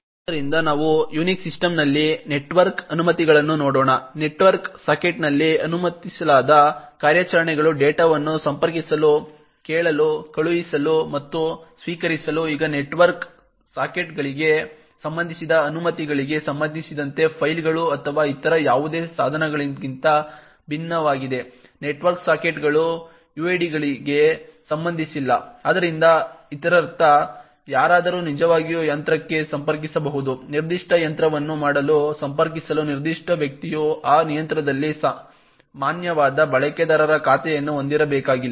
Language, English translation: Kannada, So let us look at the network permissions in a Unix system, the operations permitted on a network socket is to connect, listen, send and receive data, now with respect to permissions related to network sockets is like a unlike files or any other devices, network sockets are not related to uids, so this means anyone can actually connect to a machine, a particular person does not have to have a valid user account on that machine in order to connect to do particular machine